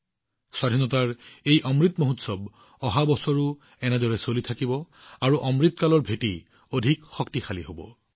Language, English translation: Assamese, This Azadi Ka Amrit Mahotsav will continue in the same way next year as well it will further strengthen the foundation of Amrit Kaal